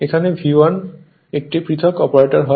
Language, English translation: Bengali, Now, if V 1 it is difference operator